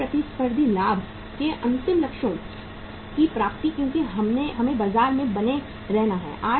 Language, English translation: Hindi, Achievement of ultimate goals of sustainable competitive advantage because we have to stay in the market